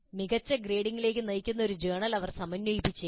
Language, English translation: Malayalam, They might synthesize a journal which leads to better grading